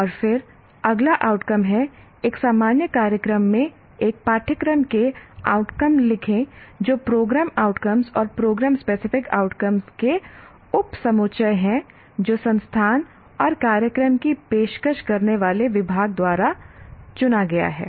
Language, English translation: Hindi, And then next outcome is right outcomes of a course in a general program that addresses subset of program outcomes and program specific outcomes chosen by the institute and the department offering the program